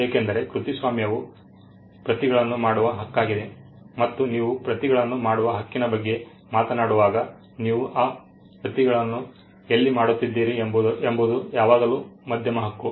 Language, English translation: Kannada, Because copyright is the right to make copies and when you are talking about the right to make copies where are you making those copies there is always a medium right